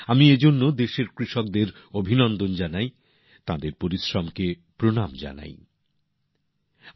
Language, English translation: Bengali, For this I extend felicitations to the farmers of our country…I salute their perseverance